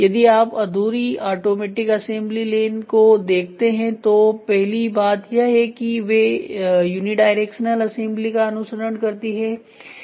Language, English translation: Hindi, If you see incomplete automatic assembly lane the first thing what the following is they will follow unidirectional assembly